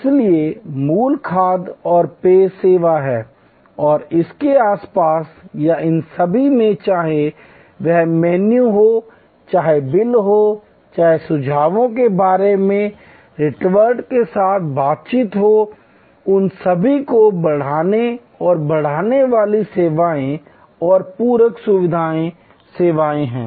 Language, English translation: Hindi, So, the core is food and beverage service and around it or all these whether menu, whether the bill, whether the interaction with steward about suggestions, all those are the enhancing and augmenting services and supplementary facilitating services